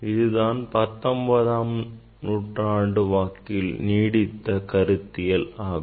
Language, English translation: Tamil, that was the concept during this beginning of 19th century